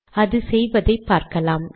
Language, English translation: Tamil, Lets see what this does